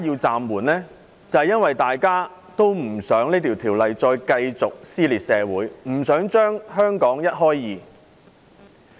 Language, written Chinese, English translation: Cantonese, 正正因為大家不想條例的修訂繼續撕裂社會，不想把香港一開為二。, It is exactly because we do not want the amendment exercise to keep tearing society apart